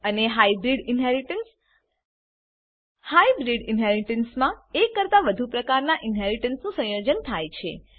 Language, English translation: Gujarati, and Hybrid inheritance In hybrid inheritance more than one form of inheritance is combined